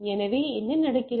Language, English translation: Tamil, So, what is the problem happening